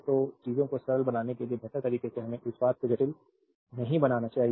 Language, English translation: Hindi, So, make things simpler way to better we should not make the thing complicated way